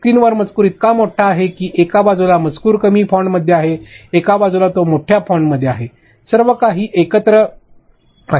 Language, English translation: Marathi, Your audio is playing the text is so big on screen on one side the text is in a lower font, one side it is on the higher font, everything is playing together